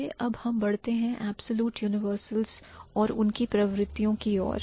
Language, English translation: Hindi, Now let's move to the absolute universals and their tendencies